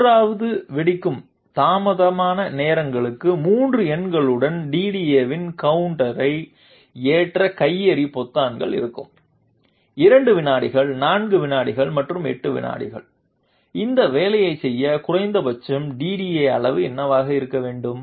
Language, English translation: Tamil, The grenade will have buttons to load the to load the counter of DDA with 3 numbers for 3 detonation delay times; 2 seconds, 4 seconds and 8 seconds, what should be the minimum DDA size to make this work